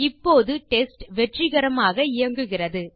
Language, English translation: Tamil, We can see that the test runs successfully